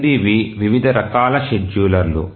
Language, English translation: Telugu, So, we will look at various types of schedulers